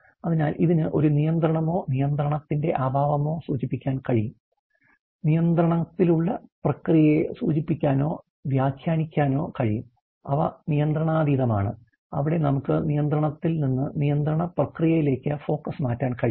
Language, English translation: Malayalam, So, it can indicate either a control or a lack of a control, it can indicate or interpret the process which are in control, those are which are out of control where we can change the focus from in control to out of control process